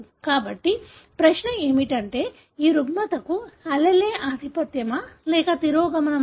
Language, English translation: Telugu, So, the question is, is the allele for this disorder, dominant or recessive